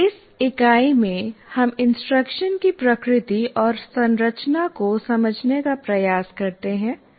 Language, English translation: Hindi, But in this unit, we try to understand the nature and constructs of instruction